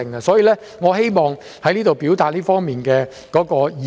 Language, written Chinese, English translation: Cantonese, 所以，我希望在此表達這方面的意見。, For that reason these are my views I wish to express on this issue